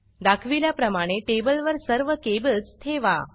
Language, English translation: Marathi, Place all the cables on the table, as shown